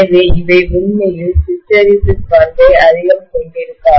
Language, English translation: Tamil, So they would not really have the hysteresis property much